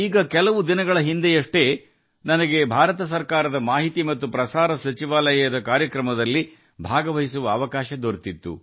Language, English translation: Kannada, Just a few days ago, I got an opportunity to attend a program of Ministry of Information and Broadcasting, Government of India